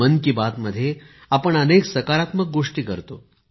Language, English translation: Marathi, You send ideas of various kinds in 'Mann Ki Baat'